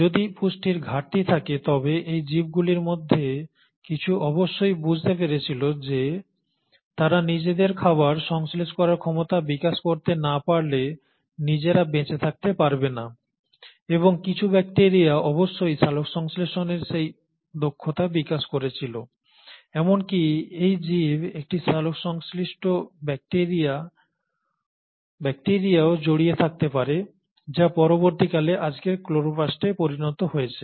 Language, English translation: Bengali, And again if there were scarcity of nutrients, some of these organisms must have realised that they cannot survive on their own unless they develop the ability to synthesise their own food and some set of bacteria must have developed that ability of photosynthesis so this organism might have even engulfed a photosynthetic bacteria which later ended up becoming today’s chloroplast